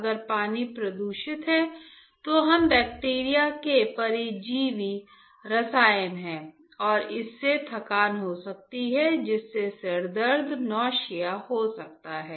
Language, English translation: Hindi, What if the water is polluted if the water is polluted then we there are bacteria’s parasites chemicals and that can have the fatigue that can have headache right